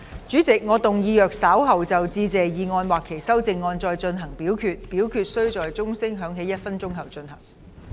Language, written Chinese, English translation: Cantonese, 主席，我動議若稍後就"致謝議案"或其修正案再進行點名表決，表決須在鐘聲響起1分鐘後進行。, President I move that in the event of further divisions being claimed in respect of the Motion of Thanks or any amendments thereto this Council do proceed to each of such divisions immediately after the division bell has been rung for one minute